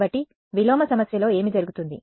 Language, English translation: Telugu, So, what happens in the inverse problem